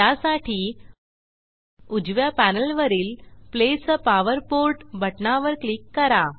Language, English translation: Marathi, For this, On the right panel, click on Place a power port button